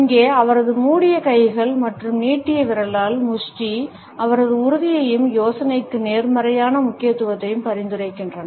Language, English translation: Tamil, And here, we find that his closed hands and fist with a protruding finger, suggest his determination as well as a positive emphasis on the idea